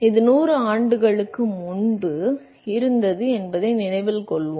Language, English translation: Tamil, So, note that this was 100 years ago, more than 100 years ago